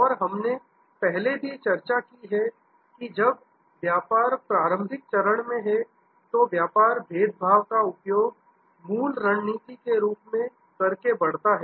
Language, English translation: Hindi, And we have also discussed before that when the business is at early stage, the business grows using differentiation as the core strategy